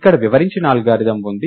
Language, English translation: Telugu, So, here is the algorithm which is described